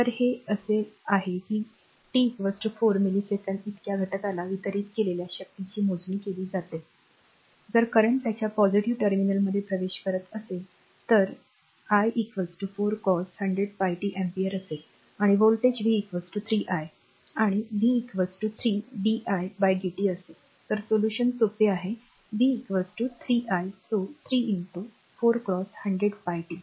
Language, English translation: Marathi, So, the it is it is hours that compute the power delivered to an element at t is equal to 4 millisecond, if the current entering its positive terminal is i is equal to 4 cos 100 pi t ampere and the voltage is v is equal to 3 i and v is equal to 3 di dt right